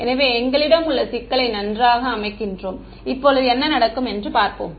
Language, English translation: Tamil, So, we have setup the problem very well now let us look at what will happen